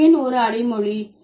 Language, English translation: Tamil, Why it is an adjective